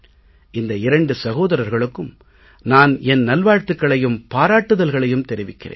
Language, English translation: Tamil, I would like to congratulate both these brothers and send my best wishes